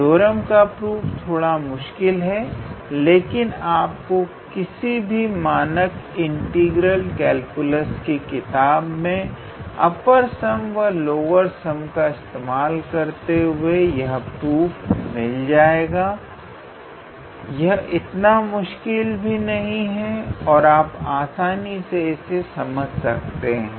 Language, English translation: Hindi, So, the proof of the theorem is a little bit complicated, but you can be able to find the proof in any standard integral calculus book where they have shown the proof with the help of upper sum and lower sum it is not that difficult and you can be able to go through that proof